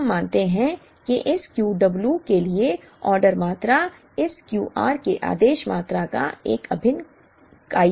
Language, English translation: Hindi, We assume that the order quantity for this Q w is an integral multiple of the order quantity of this Q r